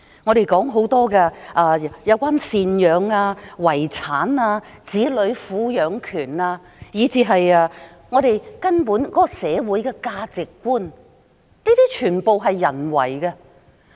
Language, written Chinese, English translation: Cantonese, 我們討論有關贍養費、遺產、子女撫養權的規定，以至社會根本的價值觀，這些全部都是由人訂定的。, As to the requirements relating to alimony payment estates custody of children or even fundamental social values all of these are set down by human beings